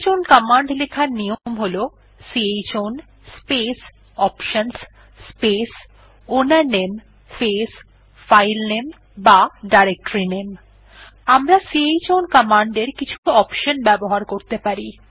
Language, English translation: Bengali, The syntax of chown command is chown space options space ownername space filename or directoryname We may give following options with chown command